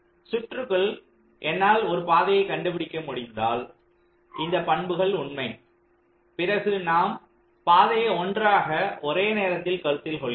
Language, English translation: Tamil, so if i can find ah path in the circuit such that this property is true, then you consider that's path together at a time